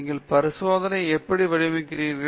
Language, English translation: Tamil, How do you design the experiment